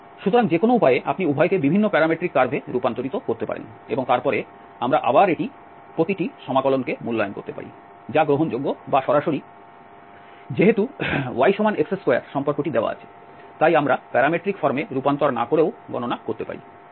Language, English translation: Bengali, So, either way you have to, to convert both of them to different parametric curves and then we can again evaluate each of these integral that is fine or directly since the relation y is equal to x square is given, so, we can also compute without converting into the parametric form